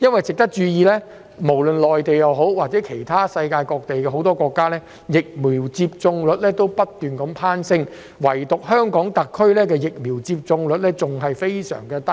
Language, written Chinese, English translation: Cantonese, 值得注意的是，內地及世界各國的疫苗接種率均不斷攀升，唯獨香港特區的疫苗接種率仍然很低。, It is worth noting that while the vaccination rates in the Mainland and other countries are all on the rise it remains very low in HKSAR